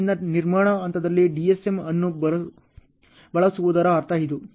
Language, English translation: Kannada, So, this is the meaning of using the DSM in construction phase ok